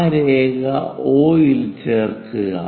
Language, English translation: Malayalam, Join O with that line